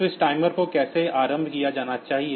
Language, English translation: Hindi, So, how this timer should be initialized